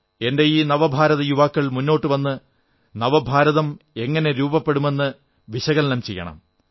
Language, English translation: Malayalam, My New India Youth should come forward and deliberate on how this New India would be formed